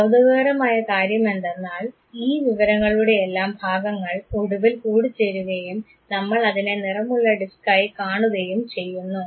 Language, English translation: Malayalam, What is remarkable is that the parts of this information finally, combine and we perceive it as a color disk